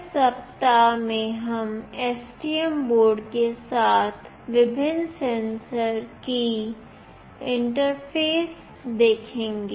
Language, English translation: Hindi, In this week we will be interfacing various sensors with STM board